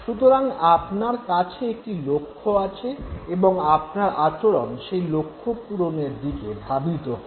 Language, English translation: Bengali, So you have a goal at hand and your behavior is directed towards that very goal